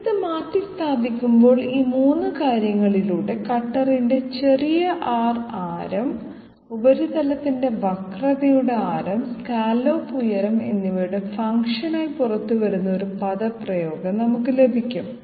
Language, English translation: Malayalam, One replace this, we get a get an expression of sidestep which comes out to be a function of these 3 things; small r radius of the cutter, radius of curvature of the surface and scallop height